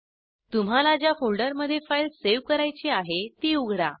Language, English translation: Marathi, Open the folder in which you want the file to be saved